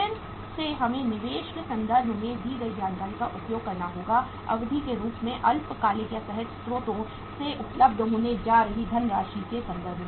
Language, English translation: Hindi, Again we have to use the information given in terms of investment, in terms of duration, in terms of the funds going to be available from the short term or the spontaneous sources